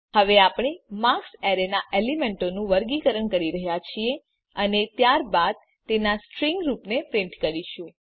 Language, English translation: Gujarati, Now we are sorting the element of the array marks and then printing the string form of it